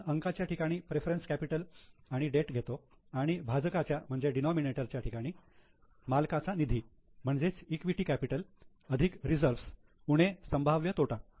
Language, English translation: Marathi, So, in the numerator we consider the preference capital plus debt and the denominator we see the owner's fund that is equity capital plus reserves minus any possible losses